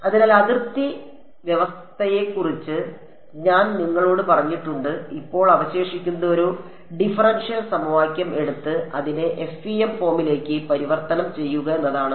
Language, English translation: Malayalam, So, I have told you about the boundary condition and now what remains is to take a differential equation and convert it into the FEM form right